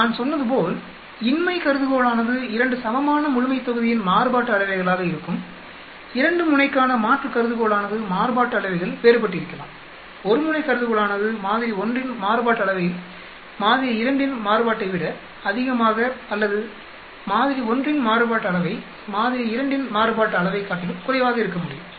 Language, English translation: Tamil, As I said the null hypothesis will be the variances of the 2 populations are equal, alternate hypothesis for a 2 tailed could be the variances are different, single tailed hypothesis could be variance of sample 1 is greater than variance of sample 2 or the variance of sample 1 is less than variance of sample 2